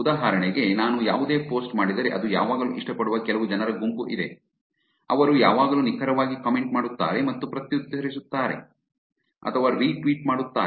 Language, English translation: Kannada, For example, if I do any post that are some sets of people who would always like it, who would always accurately make a comment or reply or retweet